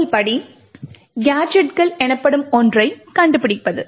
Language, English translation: Tamil, The first step is finding something known as gadgets